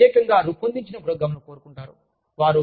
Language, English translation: Telugu, They want the programs, that are specially designed, for them